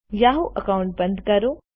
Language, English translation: Gujarati, Lets close the yahoo account